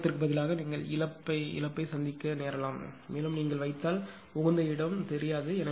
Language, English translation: Tamil, Then instead of gaining you will be loser also may also increase also because if you put in you know not an optimal place